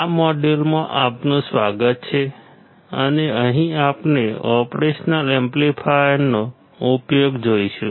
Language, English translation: Gujarati, Welcome to this module and here we will see the application of operational amplifiers